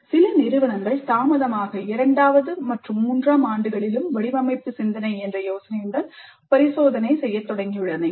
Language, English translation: Tamil, And some institutes off late have started experimenting with the idea of design thinking in second and third years also